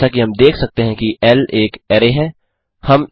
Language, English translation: Hindi, As we can see L is an array